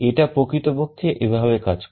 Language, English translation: Bengali, This is actually how it works